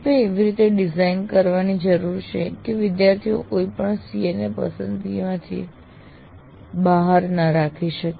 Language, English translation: Gujarati, You have to design in such a way the students cannot leave certain CIVOs out of the choice